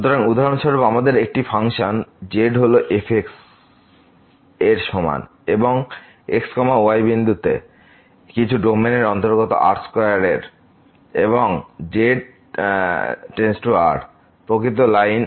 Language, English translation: Bengali, So, for example, we have a function z is equal to and belongs to some domain in square and belong to the real line